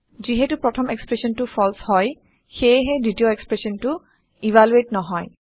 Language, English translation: Assamese, Since the first expression is false, the second expression will not be evaluated